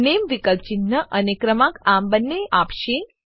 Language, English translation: Gujarati, Name option will give both symbol and number